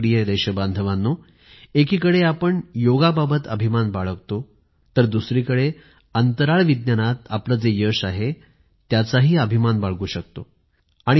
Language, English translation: Marathi, My dear countrymen, on the one hand, we take pride in Yoga, on the other we can also take pride in our achievements in space science